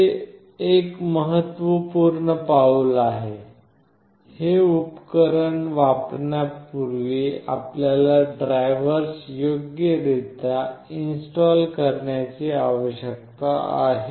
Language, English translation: Marathi, This is an important step; prior to using this particular device that you need to install the drivers properly